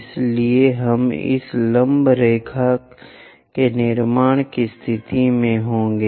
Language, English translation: Hindi, So, we will be in a position to construct this perpendicular line